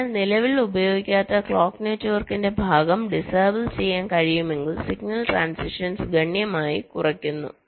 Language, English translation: Malayalam, so if we can disable the part of clock network which is not correctly being used, we are effectively reducing the signal transitions quite significantly